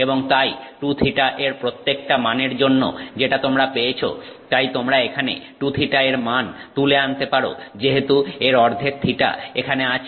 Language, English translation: Bengali, And so for every value of 2 theta that you get, you can therefore plug that value of 2 theta here as the theta half of that as the theta here